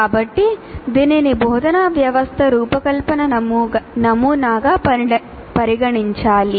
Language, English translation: Telugu, So it should be treated as we said, instructional system design model